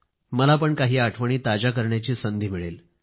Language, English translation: Marathi, I too will get an opportunity to refresh a few memories